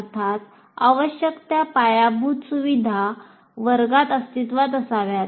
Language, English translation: Marathi, And obviously the necessary infrastructure should exist in the classroom